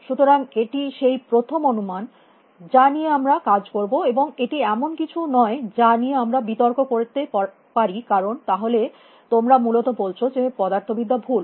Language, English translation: Bengali, So, that is a first assumption that we will work with and it is not something that we can dispute because then you are saying the physics is wrong essentially